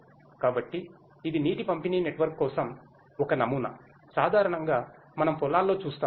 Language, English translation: Telugu, So, it is kind of a prototype for water distribution network, what usually we see in the fields